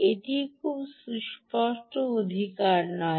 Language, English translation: Bengali, its no obvious right